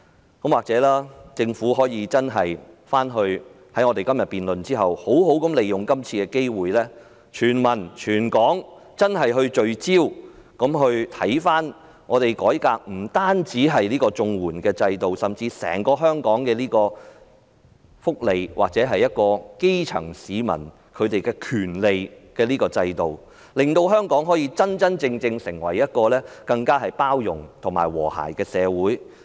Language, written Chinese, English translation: Cantonese, 在我們今天的辯論過後，或許政府可以好好利用今次機會，讓全民、全港真正聚焦於研究改革綜援制度，甚至是關乎香港福利和基層市民權利的整個制度，令香港可以真正成為更包容及和諧的社會。, After our debate today perhaps the Government can properly make use of this opportunity to facilitate across the territory a genuinely focused study on reforming the CSSA system or even the overall system relating to Hong Kongs welfare and rights of the grass roots so that Hong Kong can really become a more inclusive and harmonious society